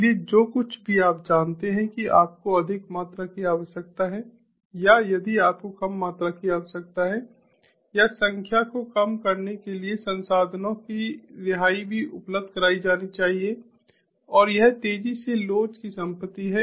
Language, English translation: Hindi, so, whatever you know, if you need more quantity or if you need less quantity, the addition or the release of resources, ah to reduce the number should also be made available, and this is the property of rapid elasticity